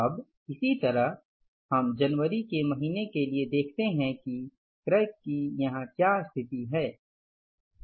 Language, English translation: Hindi, Now similarly we come to the month of January that what is the condition here for the purchases